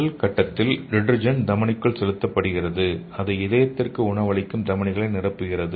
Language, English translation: Tamil, So the first step is detergents are pumped into the aorta and filling the arteries that feed the heart okay